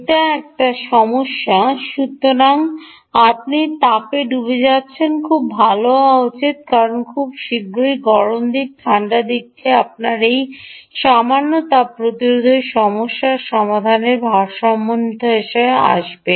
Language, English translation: Bengali, so you are, heat sinking should be very good because very soon the hot side and the cold side, we will come into an equilibrium because of this lower thermal resistance problem